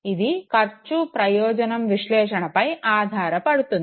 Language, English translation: Telugu, What would be the cost benefit analysis